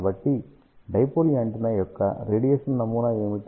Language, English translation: Telugu, So, what is the radiation pattern of the dipole antenna